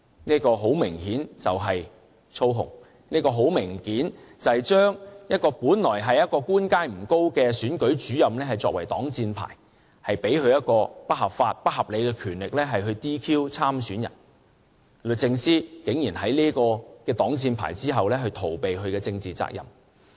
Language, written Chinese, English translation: Cantonese, 這很明顯是操控，將本來官階不高的選舉主任作為擋箭牌，賦予他們不合法和不合理的權力來 "DQ" 參選人，律政司竟然在這個擋箭牌後逃避其政治責任。, This obviously is manipulation taking the Returning Officers with lower official ranking as a shield and authorizing them with illegal and unreasonable power to disqualify the candidates . The Department of Justice is unexpectedly shirking its political responsibilities behind this shield